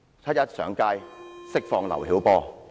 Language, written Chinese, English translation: Cantonese, 七一遊行上街，要求釋放劉曉波。, Let us take to the streets on 1 July and demand the release of LIU Xiaobo